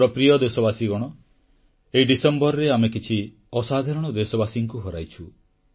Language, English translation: Odia, My dear countrymen, this December we had to bear the loss of some extraordinary, exemplary countrymen